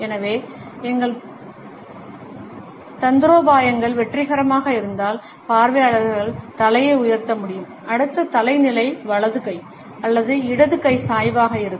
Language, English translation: Tamil, So, if our tactics are successful, the audience would be able to raise up the head and the next head position would be a tilt, either the right hand or a left hand tilt